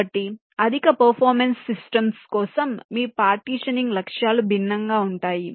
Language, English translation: Telugu, so for high performance systems, your partitioning goals can be different